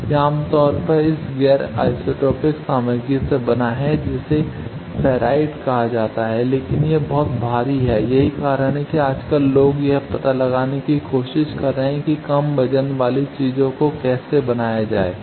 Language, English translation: Hindi, That is made generally of this non isotropic material called ferrite, but that is very bulky that is why nowadays people are trying to find out how to make in the low weight those things